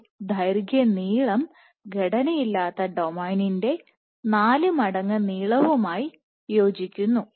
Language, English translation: Malayalam, So, this length corresponds to 4 times length of unstructured domain